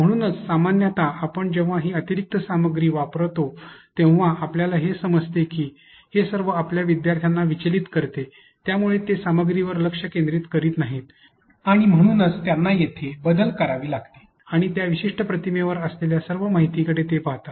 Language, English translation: Marathi, So, generally, whenever we are adding these contents extra materials we could be able to see that first of all it brings distraction to your students they are not concentrating on the content and therefore, they have to switch here and there looking to all the information that is put on that particular image